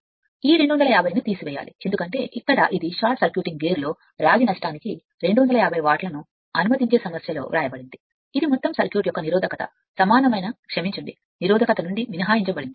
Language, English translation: Telugu, And this 250 you have to subtract because here it is here it is written in the problem allowing 250 watt for the copper loss in the short circuiting gear which is excluded from the resist equivalent sorry resistance of the total circuit